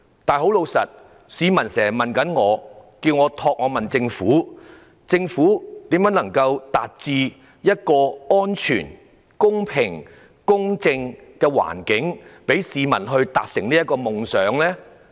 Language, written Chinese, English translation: Cantonese, 然而，市民經常問我，希望我可以問政府如何創造一個安全、公平及公正的環境，讓市民達成夢想？, However members of the public often urge me to ask the Government how it would create a safe fair and just environment for them to realize their wish